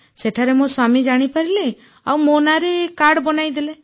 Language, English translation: Odia, From there, my husband came to know and he got the card made in my name